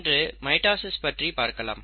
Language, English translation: Tamil, Today, let us talk about mitosis